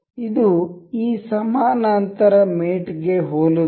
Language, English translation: Kannada, This is very similar to this parallel mate